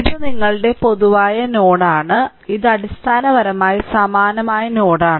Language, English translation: Malayalam, And this is a this is your common node, this is a this is a basically same node right